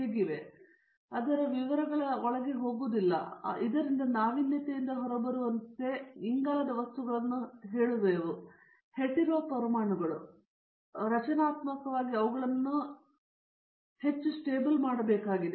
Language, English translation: Kannada, We will not go into the details of it, so that we have to innovatively bring out as I told you carbon materials with this is hetero atoms and also structurally they should be made more stabled